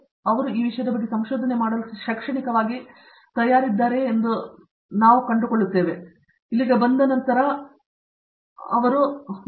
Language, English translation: Kannada, So, they find out whether they are actually prepared academically to do research in this topic, is something that they find out, only after they come here so